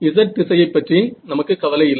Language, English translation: Tamil, So, we do not care about the z direction for that right